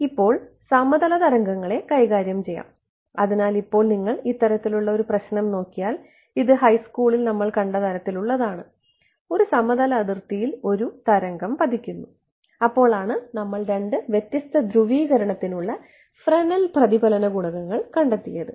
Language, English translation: Malayalam, Now so, we will deal with plane waves ok; so now, when you looked at this kind of a problem I mean this is something that we have been seeing from high school, plane a planar interface and a wave falling over there that is when we have derived the Fresnel reflection coefficients for two different polarizations